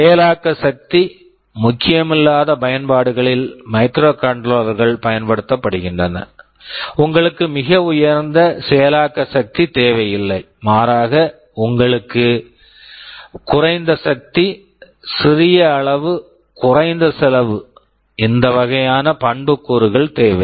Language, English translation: Tamil, Microcontrollers are used in applications where processing power is not critical, you do not need very high processing power rather you need low power, small size, low cost, these kinds of attributes